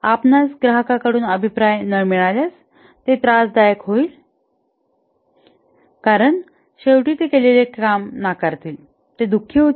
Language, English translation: Marathi, If you don't get feedback from the customer, this is trouble going to happen because at the end they will reject, they will be unhappy